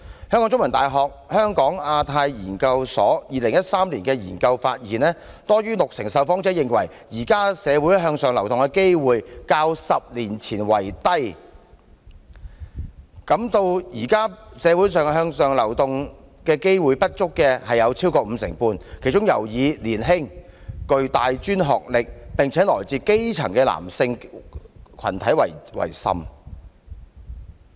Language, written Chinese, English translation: Cantonese, 香港中文大學香港亞太研究所2013年的研究發現，多於六成的受訪者認為，現時香港社會向上流動的機會較10年前差，感到現時社會向上流動機會不足的亦有約五成半，其中尤以年輕、具大專學歷、並且來自基層的男性群體為甚。, According to a survey conducted by the Hong Kong Institute of Asia - Pacific Studies of The Chinese University of Hong Kong in 2013 more than 60 % of respondents considered the chance of upward mobility in Hong Kong was worsened than that of 10 years ago; and about 55 % of respondents particularly young male with tertiary academic qualification from the grass - roots stratum did not think there was sufficient upward mobility in society